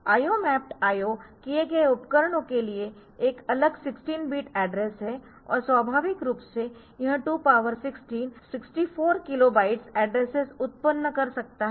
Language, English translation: Hindi, So, we will see this control lines later, there is a separate 16 bit address for IO mapped devices and naturally it can generate 2 power 16 kilo byte of 2 power 64 kilo bytes addresses